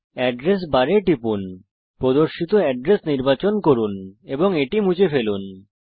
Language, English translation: Bengali, Click on the Address bar, select the address displayed and delete it